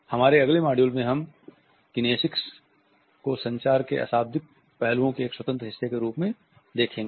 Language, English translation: Hindi, In our next module we would look at kinesics as an independent part of nonverbal aspects of communication